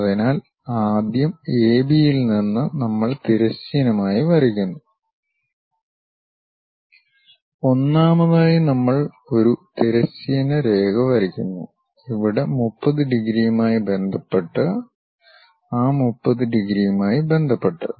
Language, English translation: Malayalam, So, from A B we draw a horizontal line first, first of all we we draw a horizontal line, with respect to that 30 degrees here and with respect to that 30 degrees